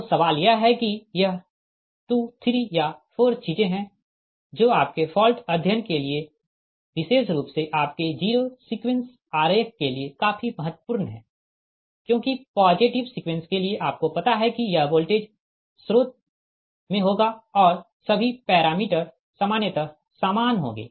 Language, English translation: Hindi, so question is that this is two or there is three, four things for your, for particularly the false studies, the zero sequence diagram is your quite important because for positive sequence, you know it will be in voltage source will be there and all the parameters as usual